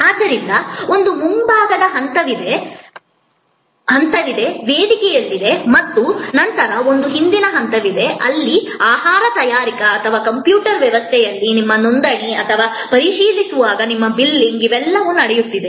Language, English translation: Kannada, So, there is a front stage, on stage and then there is a back stage, where preparation of the food or your registration in the computer system or your billing when you are checking out, all of these are happening